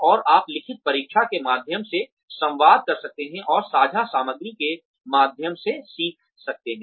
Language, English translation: Hindi, And, you can communicate via written test, and learn via shared content